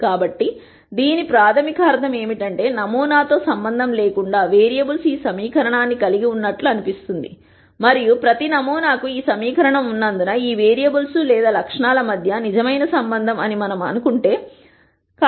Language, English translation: Telugu, So, what this basically means is, irrespective of the sample, the variables seem to hold this equation and since this equation is held for every sample we would assume that this is a true relationship between all of these variables or attribute